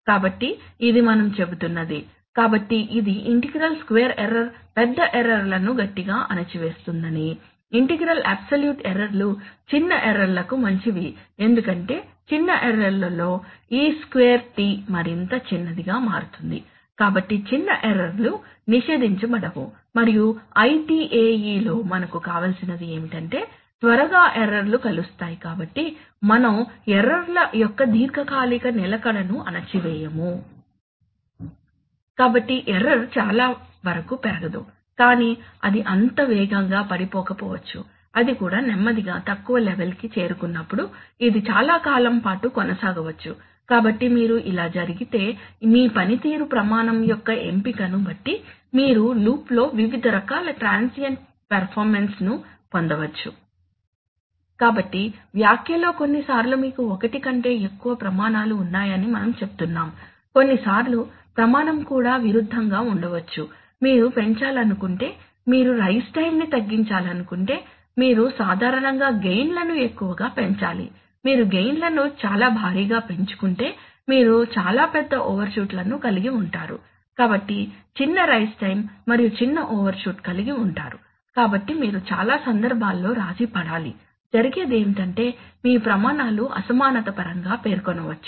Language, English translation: Telugu, So this is what we are saying, so that is what this says that the integral square error strongly suppresses large errors, the integral absolute errors are better for small errors because in small errors e2t becomes even smaller so the small errors are not penalized and in ITAE what we want is that we want that quickly errors converged so we won’t suppressed long persistence of errors So for example if you took a typical, this is a typical wave form that if you took a step, if you took a control loop which is designed based on ITAE it may so happen that you will get, that you will initially get a high overshoot but it will probably die down faster because that is what is penalized heavily, on the other hand if you take an IAE if you, if you compare between IAE and ISE you will find that in IAE error magnitudes are going to be less than IAE because in, because in ISE has lot bigger errors are actually heavily penalized